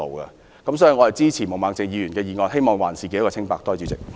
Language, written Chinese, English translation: Cantonese, 基於上述原因，我支持毛孟靜議員的議案，希望還自己一個清白。, Given the aforesaid reasons I support Ms Claudia MOs motion and I wish to clear my reputation too